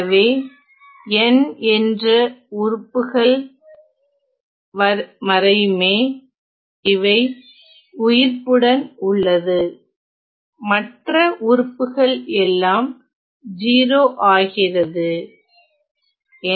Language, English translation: Tamil, So, only terms up to n survive the rest of the terms they are all 0 ok